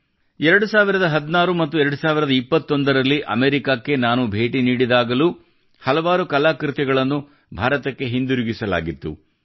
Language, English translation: Kannada, Even when I visited America in 2016 and 2021, many artefacts were returned to India